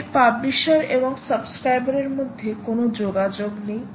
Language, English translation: Bengali, there is no connection a publisher, publishers and subscribers